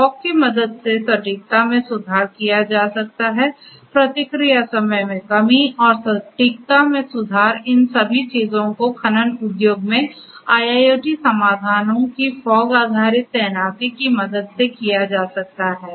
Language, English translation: Hindi, Accuracy can be improved with the help of fog response time reduction at improvement of accuracy all of these things can be done with the help of fog based deployment of IIoT solutions in the mining industry